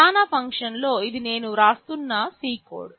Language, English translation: Telugu, In the main function this is a C code I am writing